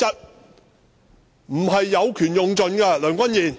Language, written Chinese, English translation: Cantonese, 你不應有權用盡，梁君彥！, Andrew LEUNG you should not exploit you right to the fullest!